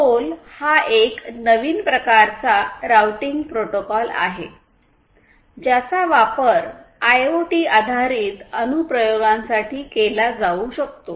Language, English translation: Marathi, So, ROLL is a new kind of routing protocol that can be used that can be used for IoT based applications